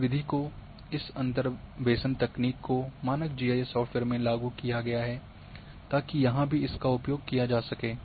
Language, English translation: Hindi, This method has been implemented this interpolation techniques into the standard GIS softwares, so that can be also used here